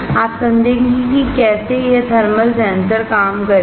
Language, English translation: Hindi, You will understand how this thermal sensor would work